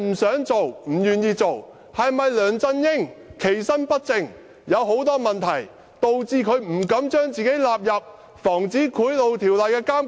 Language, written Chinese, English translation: Cantonese, 是否梁振英其身不正，有很多問題，以致他不敢把自己納入《防止賄賂條例》的監管？, Has LEUNG Chun - yings improper conduct given rise to many problems and thus he dares not subject himself to monitoring under the Prevention of Bribery Ordinance?